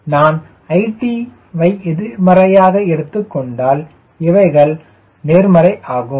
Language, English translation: Tamil, right, if i make i t negative, then this man will become positive